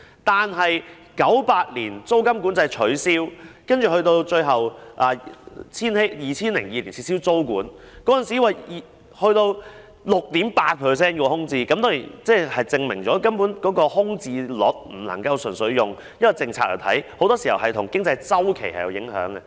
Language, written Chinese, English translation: Cantonese, 但到1998年撤銷租金管制及最後在2002年撤銷租務管制後，那時候的空置率高達 6.8%， 證明空置率並非純粹取決於政策，很多時也受經濟周期影響。, But with the removal of rent control in 1998 and tenancy control finally in 2002 the vacancy rate was as high as 6.8 % back then indicating that the vacancy rate depends not solely on policies and is susceptible to economic cycles